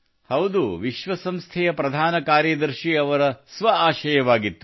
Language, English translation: Kannada, Yes, it was the wish of the Secretary General of the UN himself